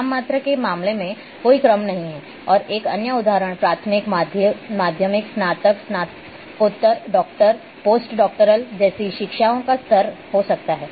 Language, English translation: Hindi, In case of nominal no order and another example can be level of education like primary, secondary, undergraduate,postgraduate, doctoral, post doctoral